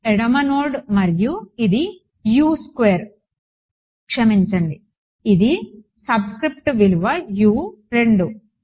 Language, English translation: Telugu, Left node and this is all equal to sorry the subscript value